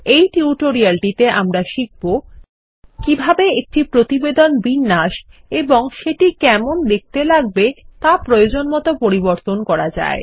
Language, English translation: Bengali, In this tutorial, we will learn how to Modify a report by customizing the layout and the look and feel of the report